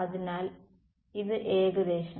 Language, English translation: Malayalam, So, its somewhat